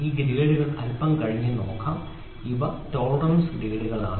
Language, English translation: Malayalam, So, now let us see these grades little later these are tolerance grades